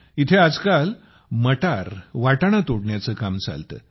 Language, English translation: Marathi, Here, these days, pea plucking goes on